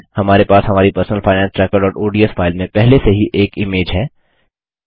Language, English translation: Hindi, We already have an image in our Personal Finance Tracker.ods file